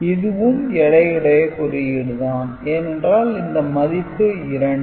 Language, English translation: Tamil, So, that is also a weighted code because weight associated is 2